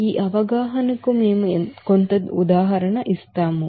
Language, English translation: Telugu, We will do some example for this understanding